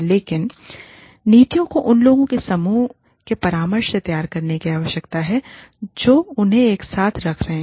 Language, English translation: Hindi, But, the policies need to be formulated, in consultation with the group of people, that are putting them together